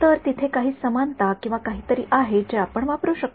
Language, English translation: Marathi, So, is there a similarity or something that we can use ok